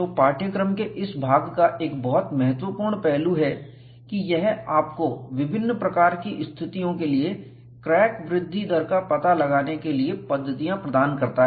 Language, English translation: Hindi, So, one of the very important aspect of this part of the course is, it provides you methodology to find out the crack growth rate for variety of situations